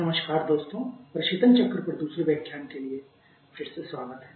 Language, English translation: Hindi, Hello friends, welcome again for the second lecture on refrigeration cycles